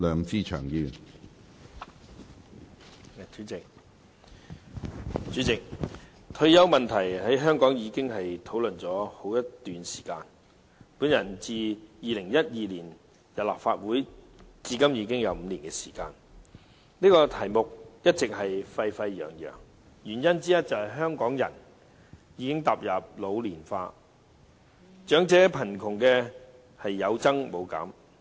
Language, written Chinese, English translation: Cantonese, 主席，退休問題在香港已經討論了好一段時間，我自2012年加入立法會至今已有5年，其間這議題一直沸沸揚揚，原因之一是香港人口已經開始老年化，長者貧窮人數有增無減。, President the retirement issue has been discussed in Hong Kong for quite a while . It has been five years since I joined the Legislative Council during which this issue has always been a hot topic . One of the reasons is that the Hong Kong population has started ageing